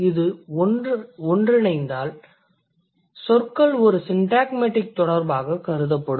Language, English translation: Tamil, So, if it can co occur, the words would be considered in a syntagmatic relation